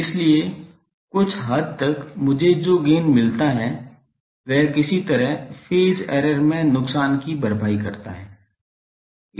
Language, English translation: Hindi, So, somewhat the gain that I get more, that somehow compensates the loss in the phase error